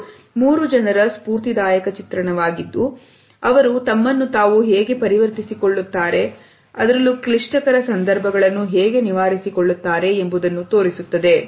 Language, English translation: Kannada, It is an inspiring depiction of three people and how they are able to transform themselves and overcome their situations